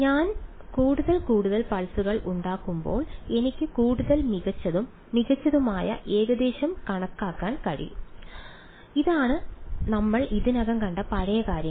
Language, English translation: Malayalam, As I make more and more pulses I can approximate better and better right this is the old stuff we have already seen this ok